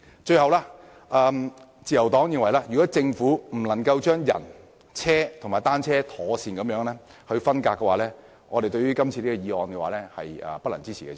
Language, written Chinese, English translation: Cantonese, 最後，代理主席，自由黨認為如政府無法把人、車和單車妥善分隔，對於今次的議案，我們是不能支持的。, Lastly Deputy President the Liberal Party considers that if the Government is unable to come up with proper ways of segregating pedestrians vehicles and bicycles we cannot support the motion this time around